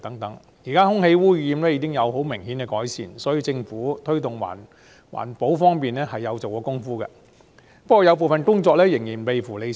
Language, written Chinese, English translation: Cantonese, 現時空氣污染情況已有明顯改善，可見政府在推動環保方面是有下工夫的。, The significant improvement in air pollution well reflects the Governments great effort in promoting environmental protection